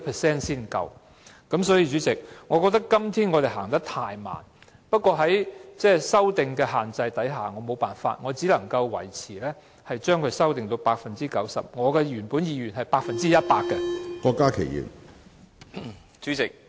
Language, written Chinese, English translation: Cantonese, 因此，主席，我認為我們今天是走得太慢，但礙於修訂令的限制，我沒有辦法，只能將修正維持在 90%， 即使我原本的意願是百分之一百。, Hence President I think our pace is too slow today . However due to the restriction of the Amendment Order I cannot but contain my amendment to 90 % coverage though I mean to raise it to 100 %